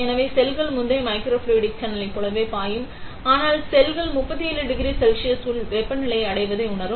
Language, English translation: Tamil, So, the cells will be flowing, like in the previous microfluidic channel; but the cells will also feel the 37 degree Celsius reaches the internal body temperature